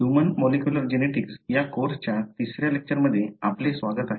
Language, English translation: Marathi, Welcome back to the third lecture of this course Human Molecular Genetics